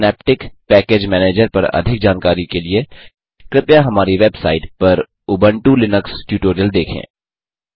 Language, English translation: Hindi, for more information on Synaptic Package Manager please refer to Ubuntu Linux tutorials on our websitehttp://spoken tutorial.org Lets open a new KTurtle Application